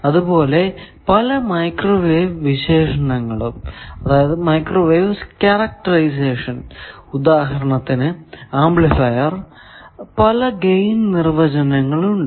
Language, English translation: Malayalam, Similarly, in various microwave characterization, particularly for amplifiers, etcetera, we have various power gain definitions